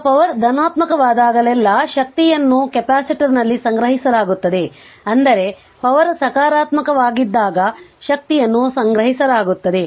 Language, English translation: Kannada, Now energy second thing is that energy is being stored in the capacitor whenever the power is positive; that means, when power is positive that energy is being stored